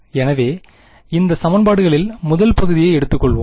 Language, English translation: Tamil, So, let us take of the first of these equations